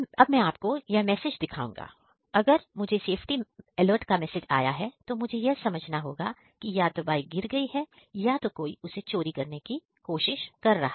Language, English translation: Hindi, Now I will show this is the message I got, when I got the safety alert means either the bike is fallen or someone tries to steal it